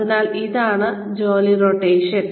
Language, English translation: Malayalam, So, that is job rotation